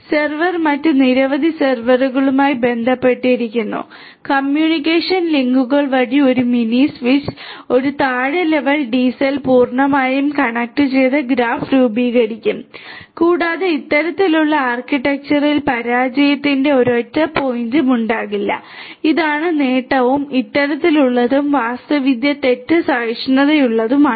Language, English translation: Malayalam, The server is interconnected to several other servers and a mini switch via communication links and a low level DCN sorry a low level DCell will form a fully connected graph and there would not be any single point of failure in this kind of architecture this is the advantage and also this kind of architecture is fault tolerant